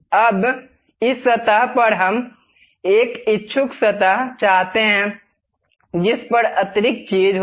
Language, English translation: Hindi, Now, on this surface, we would like to have a inclined surface on which there will be additional thing